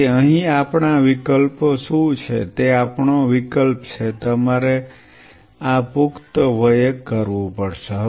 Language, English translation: Gujarati, So, what are our options here is our option, you have to do this in adult